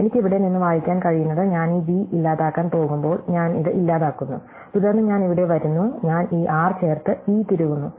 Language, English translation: Malayalam, So, what I can read of from here is that when I am going to delete this v, I delete this i, then I come here, I insert this r and I insert this e